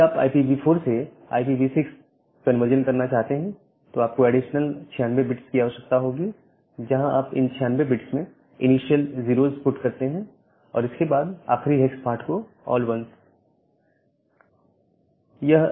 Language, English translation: Hindi, If you want to convert from IPv4 to IPv6 you have 32 bits, you require additional 96 bits, you put all this 96 bits as initial 0’s and then all 1’s for the last hex part